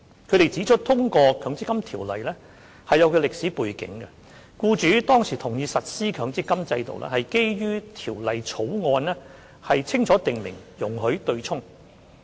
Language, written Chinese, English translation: Cantonese, 他們指出，通過《強制性公積金計劃條例草案》是有其歷史背景，僱主當時同意實施強積金制度，是基於條例草案清楚訂明容許作出對沖安排。, They pointed out that the passage of the Mandatory Provident Fund Schemes Bill had its historical background and employers back then supported the implementation of the MPF System for the reason that the Bill clearly provided for the offsetting arrangement